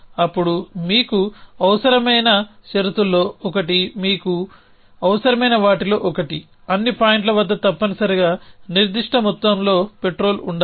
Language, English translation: Telugu, Then one of the things that you will need one of the condition that you will need is that at all points you must have certain amount petrol essentially